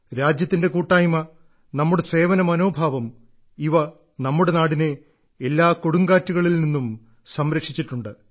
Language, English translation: Malayalam, Her collective strength and our spirit of service has always rescued the country from the midst of every storm